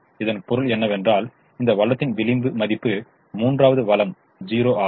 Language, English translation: Tamil, so we have to ask a question: can the marginal value of the third resource be zero